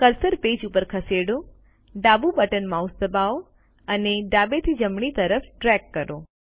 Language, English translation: Gujarati, Move the cursor to the page, press the left mouse button and drag from left to right